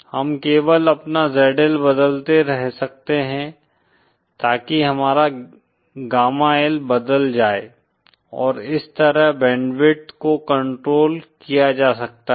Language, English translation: Hindi, We can only keep changing our ZL so that our gamma L changes and that way he can control the band width